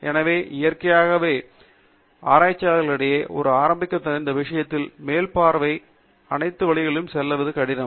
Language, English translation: Tamil, So, naturally, for a beginner among the researchers, its very difficult to go through all of these to get an over view of the subject